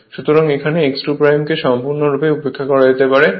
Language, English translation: Bengali, So, that x 2 dash can be altogether neglected